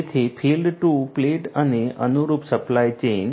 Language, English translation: Gujarati, So, field to plate and the corresponding supply chain